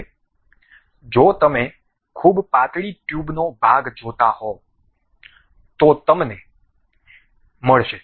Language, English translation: Gujarati, Now, if you are seeing very thin tube portion you will get